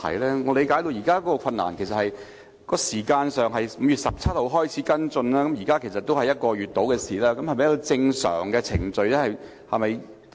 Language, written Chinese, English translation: Cantonese, 據我理解，現時的困難是這樣的：當局在5月17日開始跟進此事，至今已過了約1個月，這是否正常的程序呢？, As far as I understand it a current difficulty is this . Around one month has passed since the authorities began to follow up this matter on 17 May . Is it a normal process?